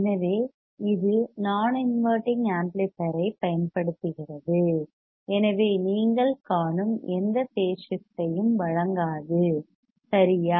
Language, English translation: Tamil, So, it uses a non inverting amplifier hence does not provide any phase shift you see right